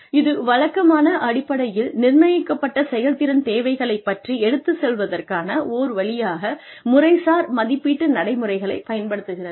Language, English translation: Tamil, It uses, formal appraisal procedures, as a way of communicating performance requirements, that are set on a regular basis